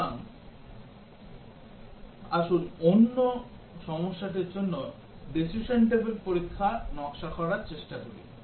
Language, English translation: Bengali, So, let us try to design the decision table test for another problem